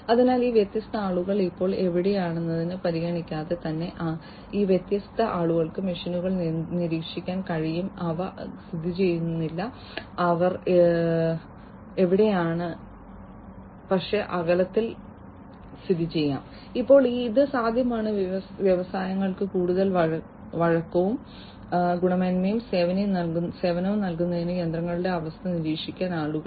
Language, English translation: Malayalam, So, regardless of the location of where these different people are now it is possible that these different people, they can monitor the machines, which may not be located where they are, but might be located distance apart, and it is now possible for people to monitor the condition of the machines to provide more flexibility and quality services to the industries